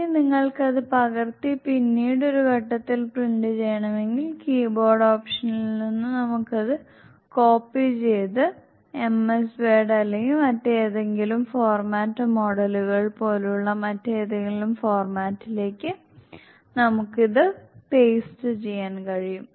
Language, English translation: Malayalam, If we want to take the print out from displays, we can also take the print out, we can click the green button, if you want to copy it and print it to the later stage, we can always copy this from the keyboard option and we can paste it to be some other format, like ms word or some other format models